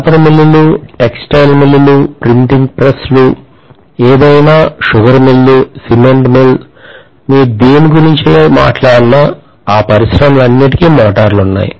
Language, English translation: Telugu, Paper mills, textile mills, printing presses, any, sugar mill, cement mill, anything you talk about everything is going to have, all those industries have motors